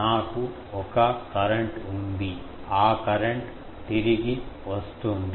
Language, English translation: Telugu, I have a current that current is coming back